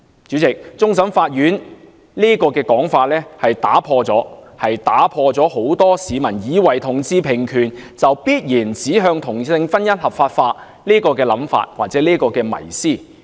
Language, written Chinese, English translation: Cantonese, 主席，終審法院上述的說法，打破了很多市民以為同志平權便必然指向同性婚姻合法化的迷思。, President the aforesaid notion of the Court of Final Appeal debunked the popular myth that equal rights for people of different sexual orientations would inevitably lead to legalization of same - sex marriage